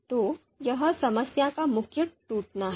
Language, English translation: Hindi, So this is the main breakdown of the problem